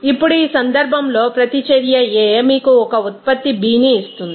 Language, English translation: Telugu, Now, consider the reaction A which will give you a product B